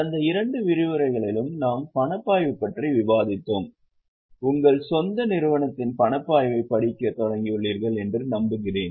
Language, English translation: Tamil, So, for last two sessions we have discussed cash flow, I hope you have seen, you have started reading the cash flow of your own company